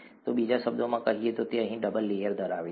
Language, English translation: Gujarati, So in other words, it has a double layer here